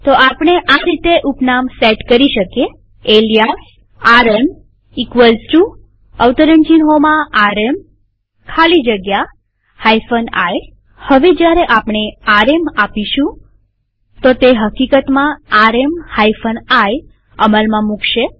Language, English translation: Gujarati, So we may set an alias like, alias rm equal to, now within quotes rm space hyphen i Now when we run rm , rm hyphen iwill actually be run